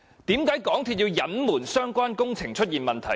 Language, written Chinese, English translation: Cantonese, 為何港鐵公司要隱瞞相關工程出現問題？, Why did MTRCL conceal the construction problems?